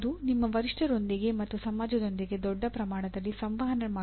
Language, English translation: Kannada, That is communicating with your peers and communicating with society at large